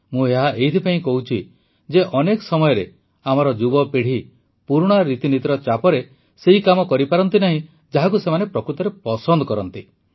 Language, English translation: Odia, I say so since often due to pressures of traditional thinking our youth are not able to do what they really like